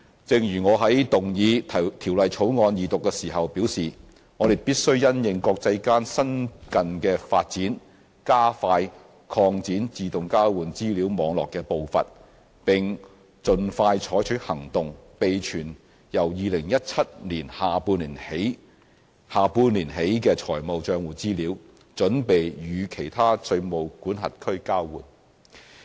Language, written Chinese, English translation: Cantonese, 正如我在動議《條例草案》二讀時表示，我們必須因應國際間新近的發展，加快擴展自動交換資料網絡的步伐，並盡快採取行動，備存由2017年下半年起的財務帳戶資料，準備與其他稅務管轄區交換。, As I said when moving the Second Reading of the Bill we must in response to the latest international developments quicken the pace of expanding our AEOI network and take expeditious action to preserve financial account information from the second half of 2017 for exchanges with other jurisdictions